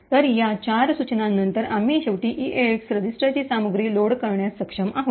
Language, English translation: Marathi, So, after these four instructions we are finally been able to load the contents of the EAX register